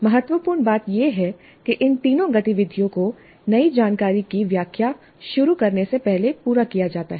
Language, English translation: Hindi, What is important is that all these three activities are completed before the explanation of new information is started